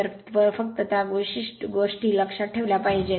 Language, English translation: Marathi, So, just you have to keep it certain thing in mind